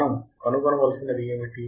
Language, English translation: Telugu, What we have to find